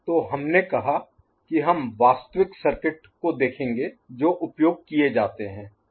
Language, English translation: Hindi, So, we said that we shall look at the actual circuit that are used ok